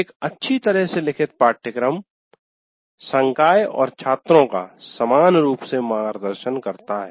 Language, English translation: Hindi, A well written syllabus guides faculty and students alike